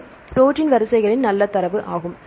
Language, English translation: Tamil, This is a good amount of data right of protein sequences